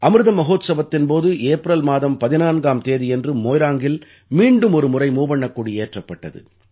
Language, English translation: Tamil, During Amrit Mahotsav, on the 14th of April, the Tricolour was once again hoisted at that very Moirang